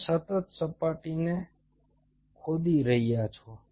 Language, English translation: Gujarati, you are continuously etching out the surface